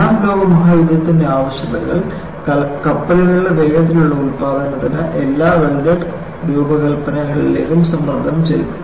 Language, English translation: Malayalam, Exigencies of World War 2 put a pressure on speedy production of ships leading to all welded design